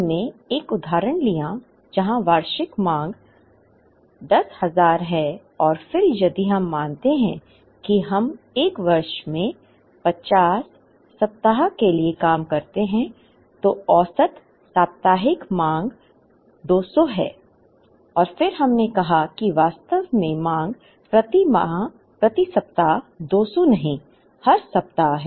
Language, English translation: Hindi, We took an example where the annual demand is 10000 and then if we assume that we work for 50 weeks in a year, then the average weekly demand is 200 and then we said that the demand is actually not 200 per week, every week